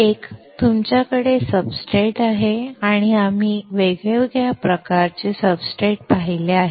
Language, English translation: Marathi, One, is you have the substrate; we have seen different kind of substrates